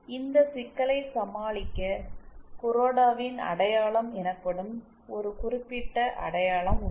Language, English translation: Tamil, To get over this problem there is a certain identity known as KurodaÕs identity